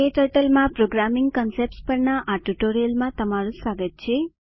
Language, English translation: Gujarati, Welcome to this tutorial on Programming concepts in KTurtle